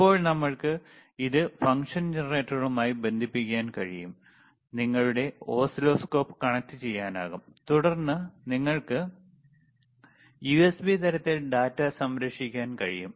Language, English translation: Malayalam, So now we can we can connect it to the function generator, you can connect your oscilloscope, and then you can save the data in the USB type